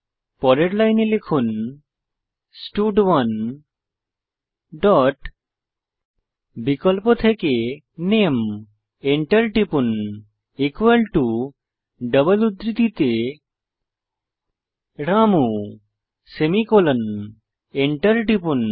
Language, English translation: Bengali, Next line type stud1 dot select name press enter equal to within double quotes Ramu semicolon press enter